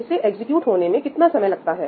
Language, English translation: Hindi, How long is this going to take to execute